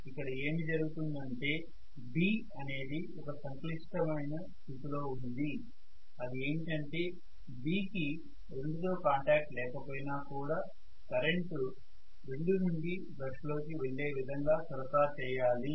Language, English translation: Telugu, So what happens is this B is kind of in a predicament it does not have contact with 2 but it has to still supply some current which will go from 2 into the brush